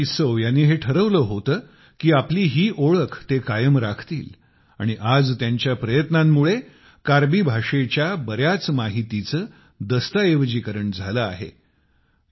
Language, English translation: Marathi, Shriman Sikari Tissau decided that he would protect identity of theirs… and today his efforts have resulted in documentation of much information about the Karbi language